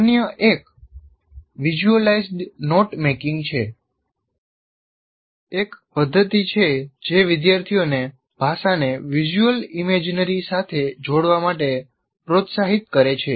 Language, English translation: Gujarati, And another one, visualized not making is a strategy that encourages students to associate language with visual imagery